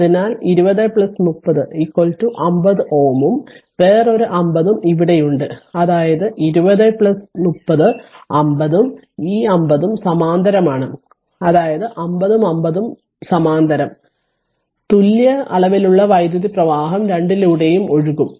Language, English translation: Malayalam, So, 20 plus 30 is equal to 50 ohm right and the another and this another 50 ohm is here; that means, this 20 plus 30 50 ohm and this 50 ohm they are in parallel; that means, 50 and 50 both 50 are in parallel; that means, equal amount of current will flow through both